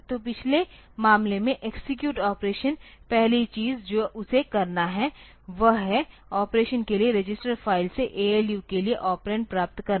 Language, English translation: Hindi, So, in the previous case the execute operation the first thing that it has to do is to get the operands from the register file to the ALU for the operation